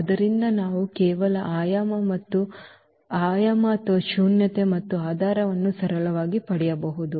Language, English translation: Kannada, So, we can just get the dimension or the nullity and also the basis simply